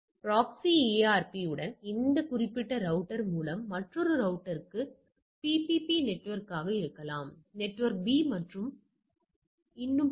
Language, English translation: Tamil, So, it with this particular router with a proxy ARP, another network may be a PPP network, network B is so and so forth